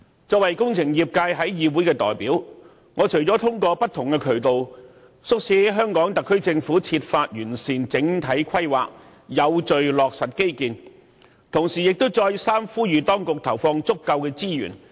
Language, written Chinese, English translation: Cantonese, 作為工程業界的議會代表，我除了通過不同渠道，促請香港特區政府設法完善整體規劃，有序落實基建外，同時亦再三呼籲當局投放足夠資源。, As a representative of the Engineering sector in this Council I urge through various channels the HKSAR Government to find ways to improve the overall planning and to implement infrastructure works in an orderly manner on top of repeatedly asking the Government to put in adequate resources